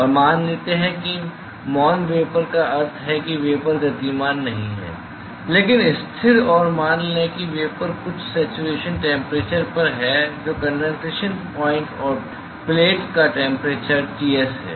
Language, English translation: Hindi, And let us assume that quiescent vapor it means that the vapors are not moving, because stationary and let us say that the vapor is at some saturation temperatures which is the condensation point and the temperature of the plate is Ts